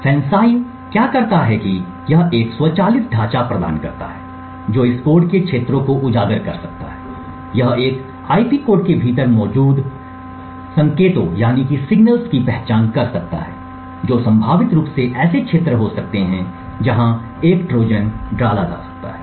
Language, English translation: Hindi, What FANCI does is that it provides an automated framework which could highlight regions of this code, it could identify signals present within an IP code which could potentially be areas where a Trojan may be inserted